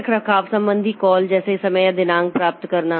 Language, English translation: Hindi, Then maintenance related calls like get time or date